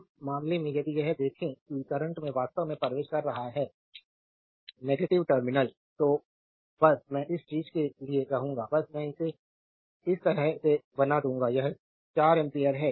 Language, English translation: Hindi, In this case if you look that current actually entering into the negative terminal just I will for your this thing I will just I will make it like this for this one this is 4 ampere: